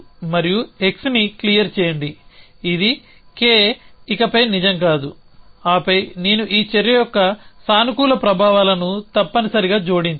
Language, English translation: Telugu, And clear x which is K is no longer true and then I must add the positive effects of this action